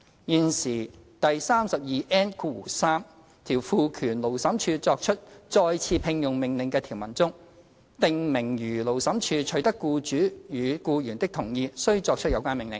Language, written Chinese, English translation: Cantonese, 現時第 32N3 條賦權勞審處作出再次聘用命令的條文中，訂明如勞審處取得僱主與僱員的同意，須作出有關命令。, The existing section 32N3 which empowers the Labour Tribunal to make an order for re - engagement stipulates that the Labour Tribunal shall make the order after getting the agreement of the employer and the employee